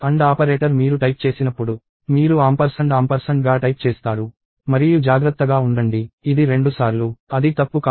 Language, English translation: Telugu, The AND operator when you type, you type ampersand ampersand (&&) ; and be careful; it is twice; it is not a mistake